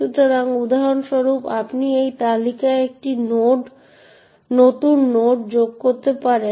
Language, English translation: Bengali, So, for example you could add a new node to this list